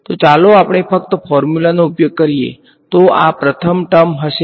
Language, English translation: Gujarati, So, let us just use the formula, so this will be first term will be